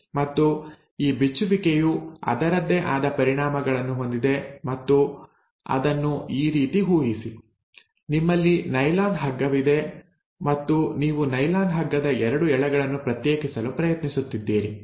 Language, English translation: Kannada, And this unwinding has its consequences and imagine it like this, you have a nylon rope and you are trying to pull apart the 2 strands of a nylon rope